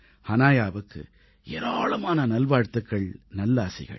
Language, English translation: Tamil, Best wishes and blessings to Hanaya